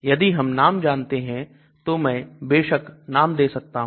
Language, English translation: Hindi, If I know the name, of course I can give the name